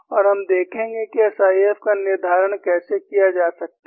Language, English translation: Hindi, And we would see how SIF can be determined